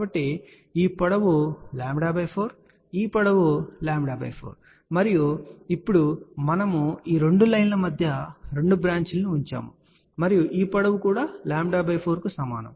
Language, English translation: Telugu, So, this length is lambda by 4 this length is lambda by 4 and now, we have put two branches in between these two lines and these lengths are also equal to lambda by 4